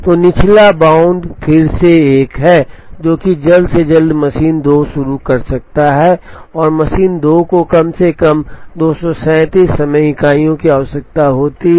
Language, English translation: Hindi, So, lower bound is again 1, which is the earliest machine 2 can begin plus machine 2 requires at least 237 time units